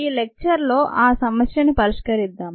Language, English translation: Telugu, let us solve that problem in this lecture